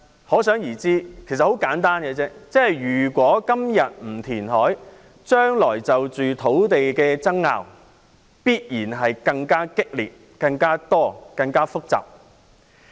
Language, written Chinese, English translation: Cantonese, 很簡單，如果今天不填海，將來就土地問題的爭拗必然會更激烈、更多和更複雜。, Simply put if no reclamation is carried out today there will certainly be more intense and complicated disputes over land issues in the future